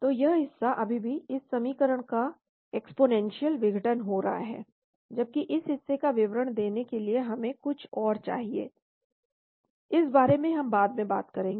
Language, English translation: Hindi, So this portion is still this equation exponentially decaying , whereas this portion we need something else to describe we will talk about this later